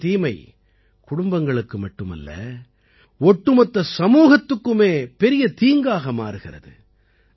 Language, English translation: Tamil, Drug addiction becomes a big problem not only for the family, but for the whole society